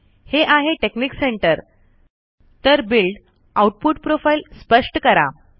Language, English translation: Marathi, This is texnic center, so build, define output profile, go to viewer